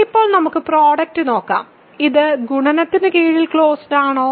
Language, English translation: Malayalam, So, now, let us look at product, is it closed under multiplication